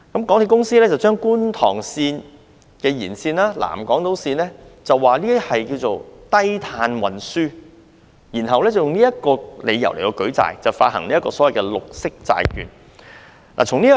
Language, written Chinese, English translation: Cantonese, 港鐵公司把觀塘線延線及南港島線稱為低碳運輸，然後以這理由舉債，發行所謂的綠色債券。, MTRCL classified the Kwun Tong Line Extension and the South Island Line as low carbon transport and then secured borrowings on this ground by issuance of green bonds so to speak